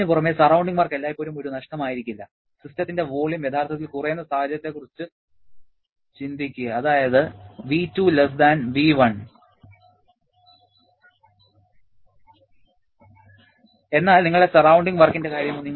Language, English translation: Malayalam, In addition to that, surrounding work may not always be a loss, just think about the situation where the volume of the system is actually reducing that is your V2<V1